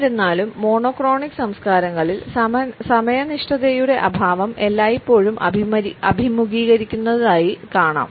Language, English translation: Malayalam, However we find that in monochronic culture’s lack of punctuality is always frowned upon